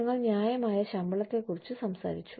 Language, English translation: Malayalam, We talked about, fair pay